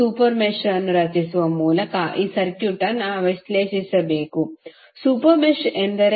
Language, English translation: Kannada, You have to analyze the circuit by creating a super mesh, super mesh means